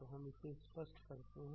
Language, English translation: Hindi, So, let us clear this